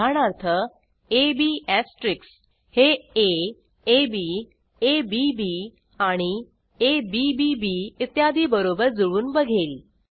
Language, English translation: Marathi, For example ab asterisk can match a,ab,abb,abbb etc